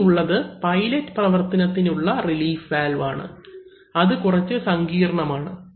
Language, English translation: Malayalam, Then we have a pilot operated relief valve, see, so that is more complex